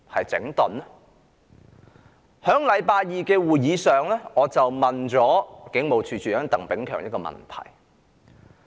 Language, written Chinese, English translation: Cantonese, 在星期二的會議上，我向警務處處長鄧炳強提出一個問題。, At the meeting on Tuesday I put a question to Commissioner of Police Chris TANG